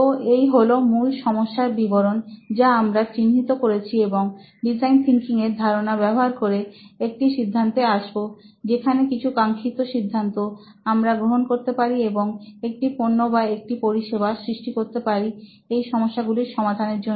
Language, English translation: Bengali, So these are the problem statements we would want to bring out right now and use design thinking as a concept to come to a conclusion where we can come up to few desirable conclusions and make a product or a service for these problems